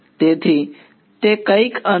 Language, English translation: Gujarati, So, its somewhat